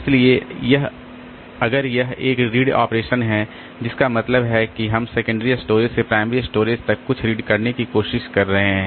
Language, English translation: Hindi, So, if it is a read operation that is, that means we are trying to read something from the secondary storage to the primary storage